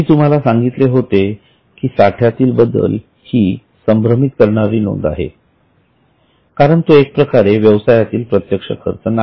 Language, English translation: Marathi, I had told you that change in inventory is slightly confusing item because it is not a direct expense as such